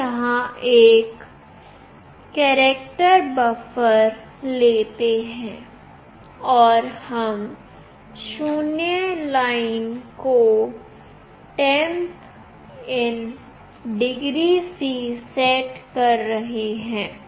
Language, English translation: Hindi, We take a character buffer here and we are setting the 0th line to “Temp in Degree C”